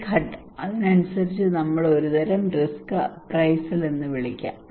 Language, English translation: Malayalam, This phase, according to that, we can call a kind of risk appraisal